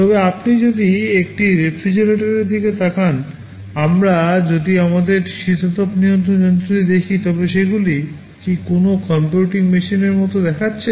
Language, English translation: Bengali, But if you look at a refrigerator, if we look at our air conditioning machine, do they look like a computing machine